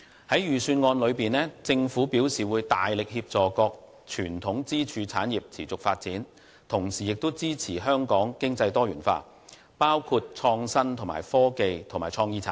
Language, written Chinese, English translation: Cantonese, 在預算案內，政府表示會大力協助各傳統支柱產業持續發展，同時亦支持香港經濟多元化，包括創新科技和創意產業。, The Government indicates in the Budget that while it will vigorously assist the sustainable development of the pillar industries it will also support a diversified development of our economy including innovation and technology IT and creative industry